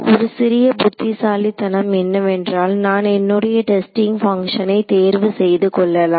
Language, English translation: Tamil, The only little bit of cleverness I did is I chose my testing functions nicely